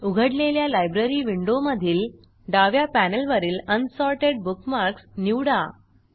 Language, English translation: Marathi, In the Library window that appears, from the left panel, select Unsorted bookmarks